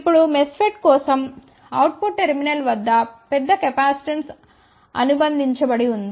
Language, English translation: Telugu, Now for MESFET there is a large capacitance associated at the output terminal